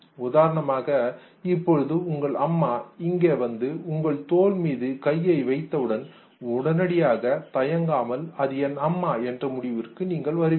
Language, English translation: Tamil, Say if your mother for instance just comes and keeps her palm on your shoulder without hesitation within fractions you would arrive at a conclusion that it is my mother